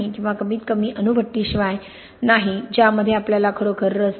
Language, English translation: Marathi, Or at least not without a nuclear reactor which we are not really going to be interested in